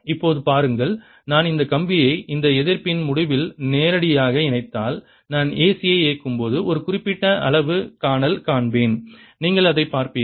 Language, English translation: Tamil, and see now if i connect this wire directly to the end of this resistance here, you will see that i'll see one particular reading when i turn the a c on